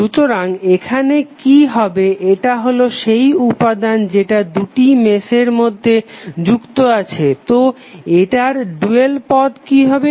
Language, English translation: Bengali, So, what will happen here this is the element which is connected between two meshes, so the dual of this would be what